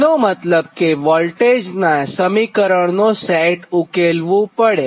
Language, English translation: Gujarati, that means then set of voltage equation are solved